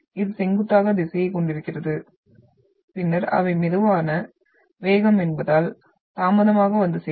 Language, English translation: Tamil, This is having the perpendicular direction and then arrives later because they are slow speed